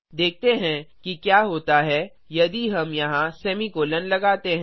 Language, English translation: Hindi, Let us try what happens if we put the semicolon here